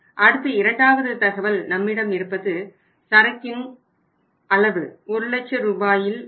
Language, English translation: Tamil, Then second information available to us was inventory level; that was in Rs, lakhs